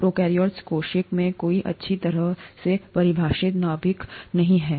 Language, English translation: Hindi, There is no well defined nucleus in a prokaryotic cell